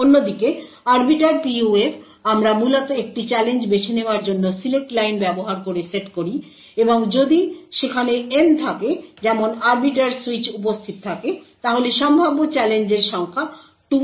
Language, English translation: Bengali, On the other hand, the Arbiter PUF we essentially set using the select line to choose a challenge and if there are N such switches arbiter switches which are present then the number of challenges possible is 2 power N